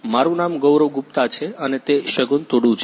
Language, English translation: Gujarati, My name is Gaurav Gupta and he is Shagun Tudu